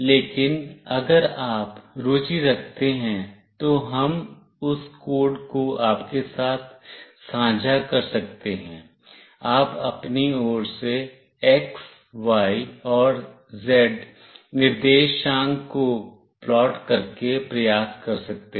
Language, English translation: Hindi, But if you are interested, we can share those codes with you, you can try out at your end by plotting the x, y, and z coordinates